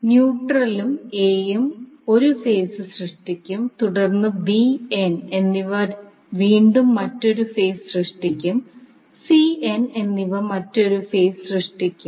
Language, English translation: Malayalam, So, neutral and A will create 1 phase B and N will again create another phase and C and N will create, create another phase